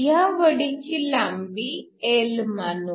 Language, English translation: Marathi, Let L be the length of your slab